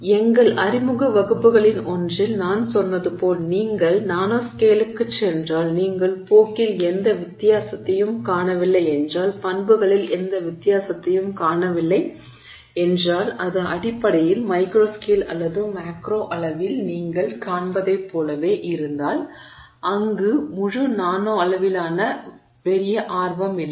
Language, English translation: Tamil, As I said in one of our introductory classes, if you go to the nanoscale and you see no difference in trend, you see no difference in properties if it's basically the same as what you would see in the micro scale or the macro scale then there is no great interest in the whole nanoscale